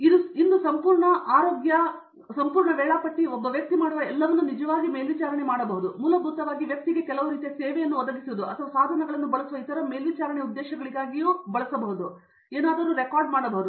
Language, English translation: Kannada, Today the entire health, the entire schedule, everything that a man does could be actually monitored, recorded for basically providing some sort of service to the person or to actually for other monitoring purposes using devices